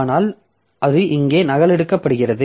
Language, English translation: Tamil, So, this is also copied here